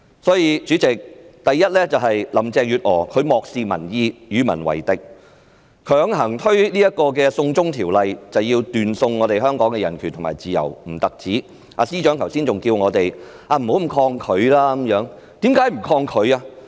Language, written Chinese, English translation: Cantonese, 因此，主席，第一，林鄭月娥漠視民意，與民為敵，不僅強推"送中條例"斷送香港的人權和自由，司長剛才還叫我們不應那麼抗拒。, Hence President first of all Carrie LAM disregards the public opinion and antagonizes the people . Not only did she attempt to force through the China extradition bill destroying the human rights and freedom of Hong Kong . Just now the Chief Secretary also told us to not be so resistant